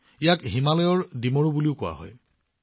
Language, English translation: Assamese, It is also known as Himalayan Fig